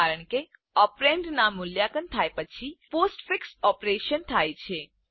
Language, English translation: Gujarati, This is because the postfix operation occurs after the operand is evaluated